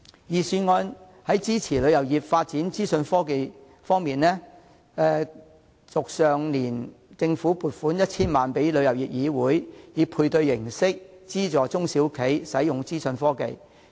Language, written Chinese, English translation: Cantonese, 在支持旅遊業發展資訊科技方面，政府於去年撥款 1,000 萬元予旅議會，以配對形式資助中小型旅行社使用資訊科技。, On providing support for the tourism industry to develop information technology the Government allocated 10 million last year to TIC for subsidizing the use of information technology by small and medium travel agents